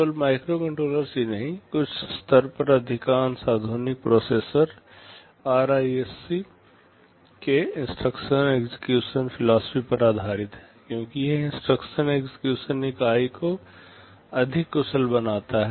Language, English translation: Hindi, Not only microcontrollers, most of the modern processors at some level are based on the RISC philosophy of instruction execution because it makes the instruction execution unit much more efficient